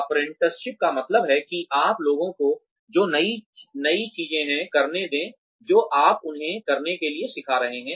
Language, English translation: Hindi, Apprenticeship means, that you let people do, what the new thing, that you are teaching them, to do